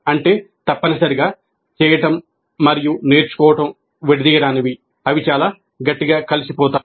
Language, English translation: Telugu, That means that essentially the doing and learning are inextricable